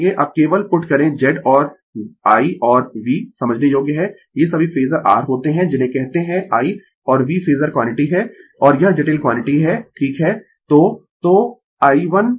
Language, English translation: Hindi, Now, we will put simply Z and I and V understandable these all are phasor your what you call I and V are phasor quantity and this is complex quantity right